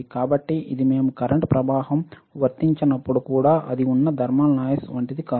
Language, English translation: Telugu, So, it is not like thermal noise that it is there even when we do not apply any current right